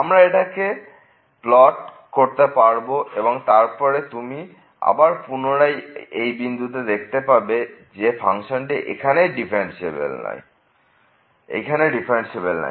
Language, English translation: Bengali, And we can plot this one and then again you can see that at this point 1 here the function breaks its differentiability